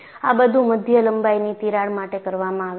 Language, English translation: Gujarati, And, this is all done for medium length crack